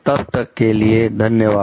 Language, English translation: Hindi, Till then, thank you